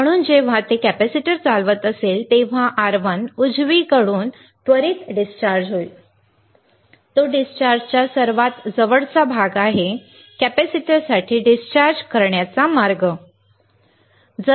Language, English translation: Marathi, So, when it is conducting the capacitor will quickly discharged through R1 right, it is a closest part to discharge is the path to discharge for the capacitor, right